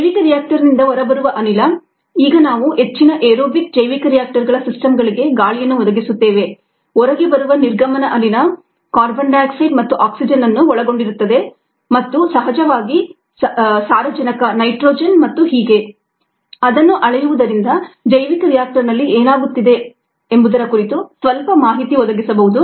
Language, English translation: Kannada, the gas that comes out of the bioreactor now we provide air for most aerobic ah bioreactor systems the exit gas, which consists of c, o two and o two and of course nitrogen and so on, that can also be measured to provide some input into what is happening in the bio reactor